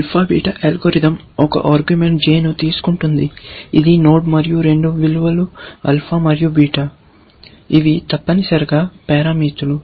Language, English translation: Telugu, Alpha, beta; it takes an argument j, which is the node, and a value; alpha, and a value; beta, which are parameters, essentially